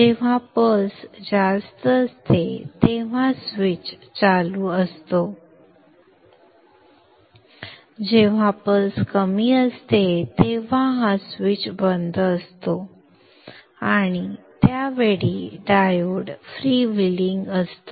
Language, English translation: Marathi, The time when the pulse is high then the switch is on, the time when the pulses are low, the switch is off and during that time the diode is prevailing